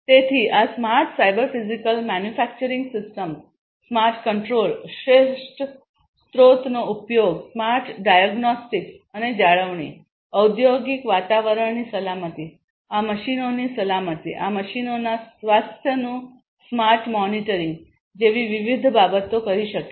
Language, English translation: Gujarati, So, these smarter cyber physical manufacturing systems can perform different things such as smart control, optimal resource utilization, smart diagnostics and maintenance, safety, safety of the industrial environment, safety of these machines, smart monitoring of the health of these machines